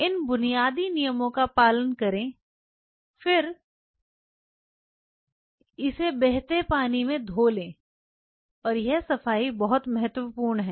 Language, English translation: Hindi, So, just be careful follow these basic thumb rules, then again wash it in water in running water and this cleaning is very critical